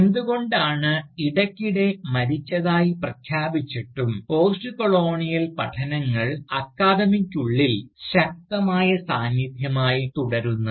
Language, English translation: Malayalam, So, why is it, that in spite of frequently being declared dead, Postcolonial studies continue to remain a strong presence, within the academia